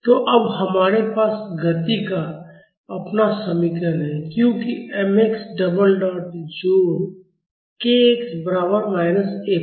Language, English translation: Hindi, So, now, we have our equation of motion as m x double dot plus k x is equal to minus F